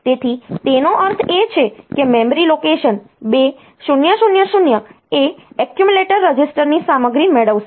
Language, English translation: Gujarati, So, it means that the memory location, 2000 will get the content of the accumulator register